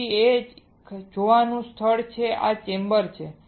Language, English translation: Gujarati, Then there is a viewing point this is the chamber